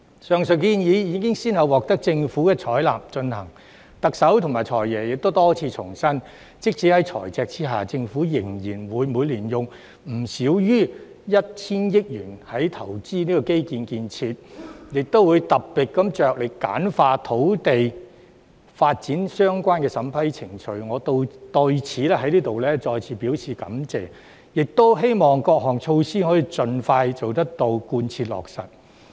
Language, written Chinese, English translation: Cantonese, 上述建議已先後獲得政府採納及推行，特首和"財爺"亦多次重申，即使在財赤的情況下，政府仍然會每年用不少於 1,000 億元投資基礎建設，亦會特別着力簡化與土地發展的相關程序，我對此再次表示感謝，並期望各項措施可盡快到位、貫徹落實。, The above proposals have been adopted and implemented by the Government . The Chief Executive and the Financial Secretary have reiterated a number of times that despite the fiscal deficit the Government will invest no less than 100 billion a year in infrastructure and will endeavour to streamlining procedures relating to land development . Once again I would like to express my gratitude once again and hope that the various measures will be put in place and implemented as soon as possible